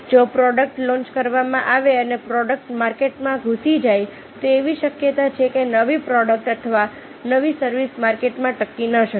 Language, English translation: Gujarati, if the product is launched and the product penetrate the the market, there is a chance that the new product at the new service may not sustain in the market